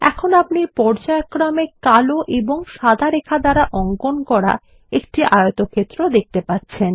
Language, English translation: Bengali, You will now see a rectangle with alternating black and white lines